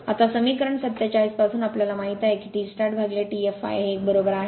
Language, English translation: Marathi, Now, from equation 47, we know that T start upon T f l is equal to this one right